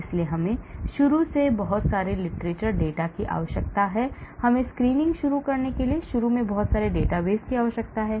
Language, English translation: Hindi, so we need to have lot of literature data initially, we need to have lot of databases initially to start screening